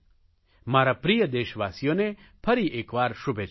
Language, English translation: Gujarati, My good wishes again to all my dear countrymen